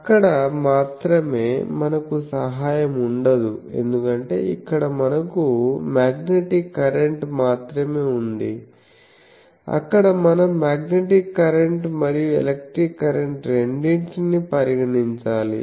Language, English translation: Telugu, Only there we would not have the help because here we are having only magnetic current, there we will have to consider both the magnetic current and the electric current